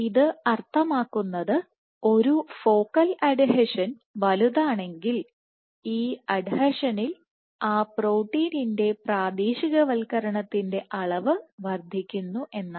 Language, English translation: Malayalam, Size and force, and intensity and force which means that given if a focal adhesion is bigger there is increased amount of local localization of that protein at this adhesion